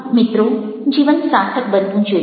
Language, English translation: Gujarati, so, friends, life should be meaningful